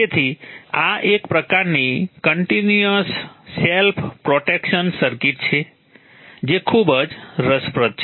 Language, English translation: Gujarati, So this is a kind of a continuous self protection circuit